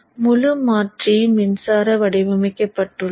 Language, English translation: Tamil, So the entire converter power supply is designed